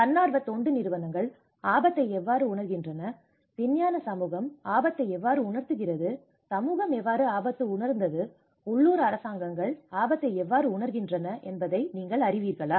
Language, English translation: Tamil, Are you from the, you know how the NGOs perceive the risk, how the scientific community perceives the risk, how the community has perceived the risk, how the local governments perceive the risk